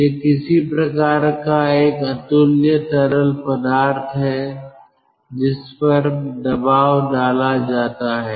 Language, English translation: Hindi, ah, it is some sort of a incompressible fluid which is pressurized